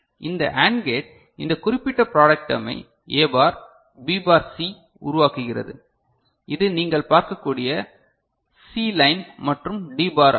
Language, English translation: Tamil, This AND gate is generating this particular product term A bar, B bar C this is C line you can see and D bar right